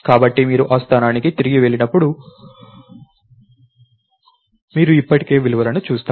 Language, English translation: Telugu, So, when you go back to that location, you still see the values